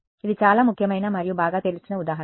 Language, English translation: Telugu, It is a very important and well known example